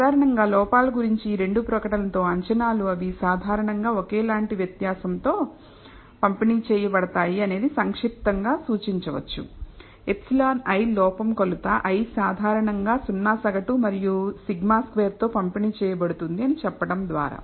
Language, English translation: Telugu, In general, the these two statement assumptions about the errors that they normally distributed with identical variance can be compactly represented by saying that epsilon i the error corrupting measurement i is normally distributed with zero mean and sigma squared variance